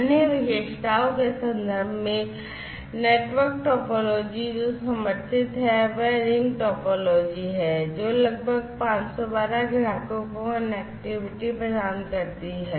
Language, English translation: Hindi, So, in terms of other features network topology that is supported is the ring topology, which will provide connectivity to about 512 subscribers